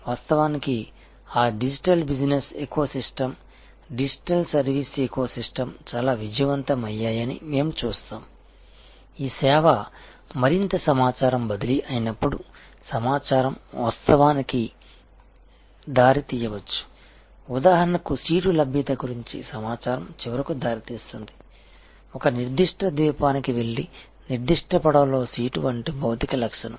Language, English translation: Telugu, And we will see those of course, those digital business ecosystems are digital service ecosystems are quite successful when the service is this more of information transfer, information of course, can lead to for example, information about seat availability can lead to finally, a material attribute like a seat on a particular boat going to a particular island